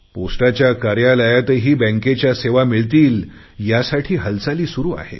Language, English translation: Marathi, Post offices have also been geared up for banking services